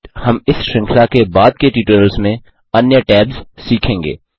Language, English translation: Hindi, We will learn the other tabs in the later tutorials in this series